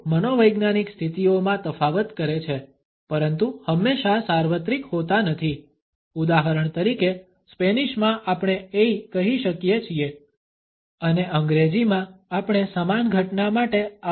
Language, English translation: Gujarati, They differentiate amongst psychological states in but are not always universal, for example in Spanish we can say ay and in English we can say ouch for the same phenomena